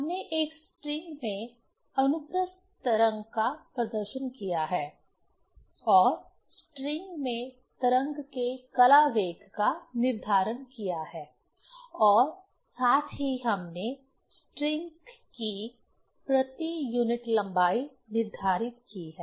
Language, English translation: Hindi, We have demonstrated transverse wave in a string and determined the phase velocity of wave in the string as well as we have determined the mass per unit length of the string